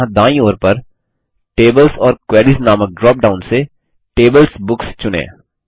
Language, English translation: Hindi, And, on the right hand side let us choose Tables:Books from the drop down here that says Tables or Queries